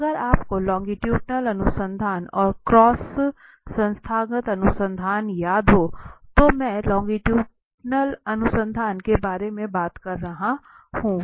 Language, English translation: Hindi, If you remember what talked about the longitudinal research and the cross insrtituonal research so this is the longitudinal research I am talking about